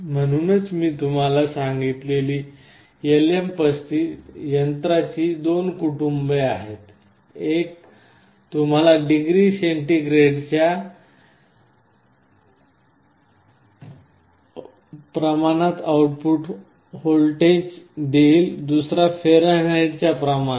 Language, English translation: Marathi, So, there are two families of LM35 device I told you, one gives you the output voltage proportional to degree centigrade other proportional to degree Fahrenheit